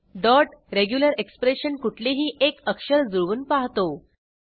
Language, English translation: Marathi, The dot regular expression matches any one character